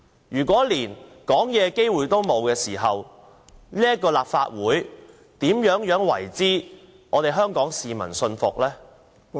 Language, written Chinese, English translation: Cantonese, 如果連發言的機會也沒有，這個立法會如何能讓香港市民信服？, How can the Legislative Council convince Hong Kong people if Members are not given the chance to speak?